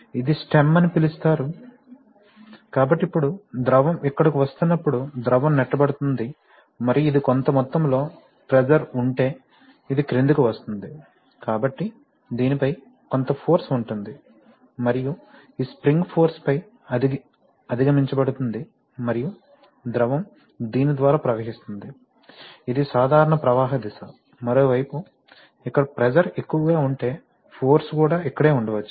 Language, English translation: Telugu, What is that called stem and the, so now when the fluid is coming here the fluid is pushing and this will come down, if there is a certain amount of pressure, so there will be a certain amount of force on this and this spring force will be overcome and the fluid will flow out through this, this is the normal flow direction, on the other hand if the, if the pressure becomes too much here, then it may happen that the force is also here